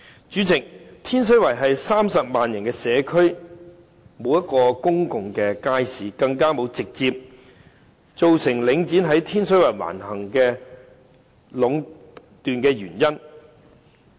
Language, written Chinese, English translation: Cantonese, 主席，天水圍是30萬人的社區，卻沒有一個公眾街市，更是直接造成領展在天水圍橫行壟斷原因。, President Tin Shui Wai is a community with a population of 300 000 and yet there is not even a single public market . This is also a direct cause of Link REIT becoming domineering and growing into a monopoly in Tin Shui Wai